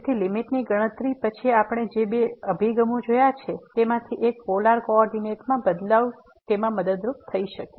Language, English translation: Gujarati, So, computing the limit then what we have seen two approaches the one was changing to the polar coordinate would be helpful